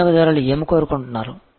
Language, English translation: Telugu, So, this is actually what the customer wants